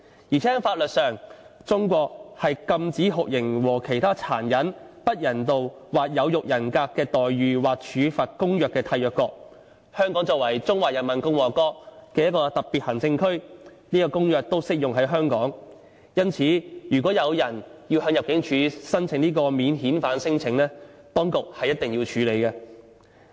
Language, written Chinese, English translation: Cantonese, 況且，在法律上，中國是《禁止酷刑和其他殘忍、不人道或有辱人格的待遇或處罰公約》的締約國，香港作為中華人民共和國的特別行政區，這公約都適用於香港，因此如果有人向入境處提出免遣返聲請，當局是一定要處理。, Besides as far as the law is concerned China is a contracting state to the Convention Against Torture and Other Cruel Inhuman and Degrading Treatment or Punishment so the Convention is also applicable to Hong Kong the Special Administrative Region of the Peoples Republic of China . For that reason if a person lodges a non - refoulement claim with the Immigration Department ImmD the relevant authority will have to process it